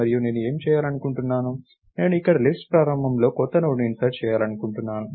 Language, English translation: Telugu, And what I want to do is, I want to insert a new Node here in the beginning of the list, right